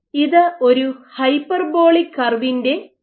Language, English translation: Malayalam, So, this is an example of a hyperbolic curve